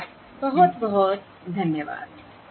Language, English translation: Hindi, thanks very much